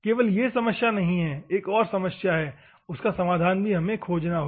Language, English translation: Hindi, Not only this problem, but there is also another problem that is called that we will have the solution